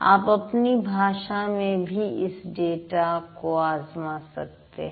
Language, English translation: Hindi, You can also play around with the data from your own language